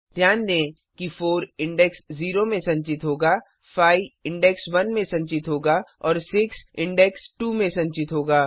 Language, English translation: Hindi, Note that 4 will be store at index 0, 5 will be store at index 1 and 6 will be store at index 2 Then we print the sum